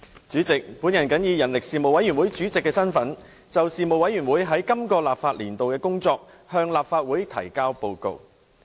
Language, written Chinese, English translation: Cantonese, 主席，我謹以人力事務委員會主席的身份，就事務委員會在本立法年度的工作，向立法會提交報告。, President in my capacity as Chairman of the Panel on Manpower the Panel I now table before the Legislative Council the Panels work report for this legislative session